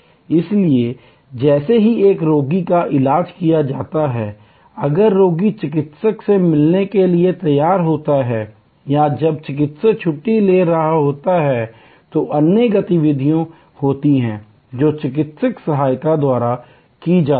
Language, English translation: Hindi, So, that as soon as one patient is done, the next patient is ready to meet the doctor or when the doctor is taking a break, there are other activities that are performed by medical assistants